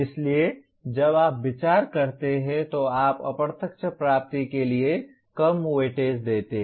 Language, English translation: Hindi, So while you take into consideration, you give less weightage for the indirect attainment